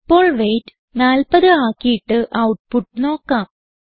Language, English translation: Malayalam, Now let us change the weight to 40 and see the output